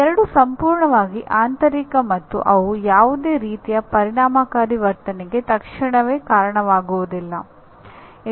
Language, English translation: Kannada, These two are completely internal and they do not immediately kind of result in any affective behavior